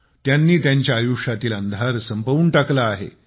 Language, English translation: Marathi, He has banished the darkness from their lives